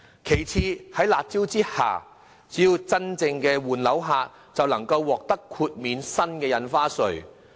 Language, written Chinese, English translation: Cantonese, 其次，在"辣招"之下，只要是真正換樓的買家，便能獲得豁免新的印花稅。, Secondly according to the harsh measures buyers who are genuinely changing flat will be exempted from stamp duty charged at the new rate